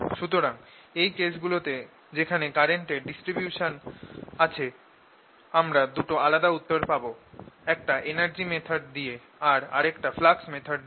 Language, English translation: Bengali, so in the case is where there is a distribution of current, you will get two different answers: through the energy method or through flux by i